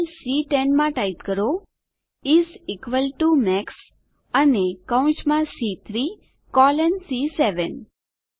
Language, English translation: Gujarati, In the cell C10 lets type is equal to MAX and within braces C3 colon C7